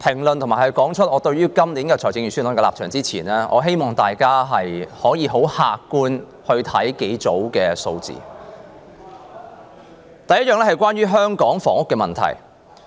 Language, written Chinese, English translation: Cantonese, 在講述我對今年財政預算案的立場之前，我希望大家很客觀地看幾組數字：第一，是關於香港房屋問題。, Before I state my position in respect of this years Budget I wish Members will look at the following sets of figures objectively . The first set is about the housing problem in Hong Kong